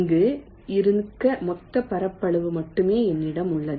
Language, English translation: Tamil, i only have the total area available to be here